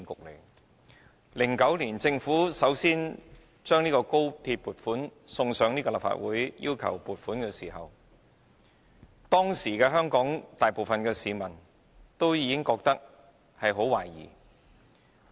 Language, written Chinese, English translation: Cantonese, 在2009年，政府首次就高鐵項目向立法會提交撥款申請，當時香港大部分市民均感懷疑。, In 2009 the Government sought funding approval for the XRL project from the Legislative Council for the first time . At that time most people in Hong Kong were suspicious of it